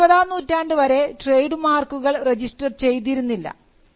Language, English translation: Malayalam, So, till the 19th century there was no registration for trademarks